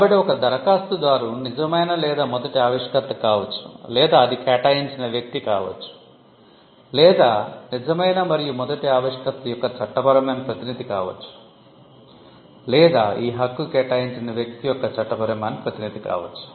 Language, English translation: Telugu, So, an applicant can be the true or first inventor, or it can be assignee, or it could also be a legal representative of the true or true and first inventor or the assignee